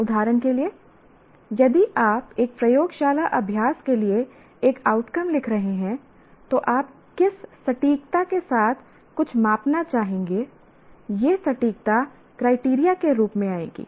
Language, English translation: Hindi, For example, if you are writing an outcome for a laboratory exercise to what accuracy you would like to measure something, that accuracy will come as a as a criteria as well